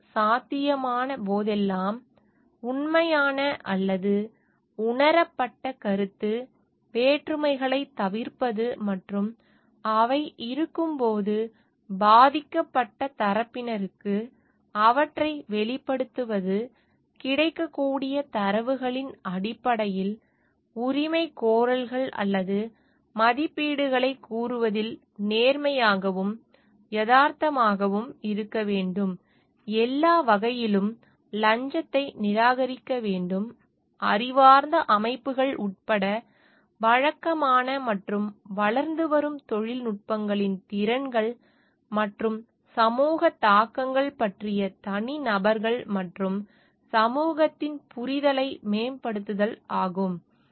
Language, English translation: Tamil, Two to avoid real or perceived conflicts of interest whenever possible, and to disclose them to affected parties when they do exist; to be honest and realistic in stating claims or estimates based on available data; to reject bribery in all forms; to improve the understanding by individuals, and society of the capabilities and societal implications of the conventional and emerging technologies including intelligent systems